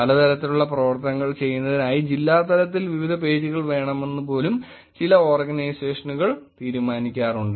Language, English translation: Malayalam, Some organizations have taken the decision of having multiple pages for at the district level for different activities